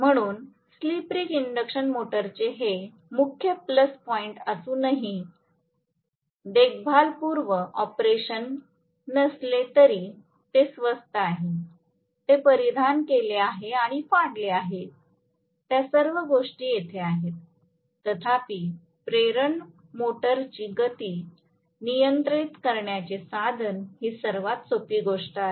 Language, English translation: Marathi, So, this is one of the major plus points of the slip ring induction motor all though it has no maintenance pre operation, it is costlier, it has wear and tear, all those things are there, nevertheless, this is one of the simplest means of controlling speed of the induction motor right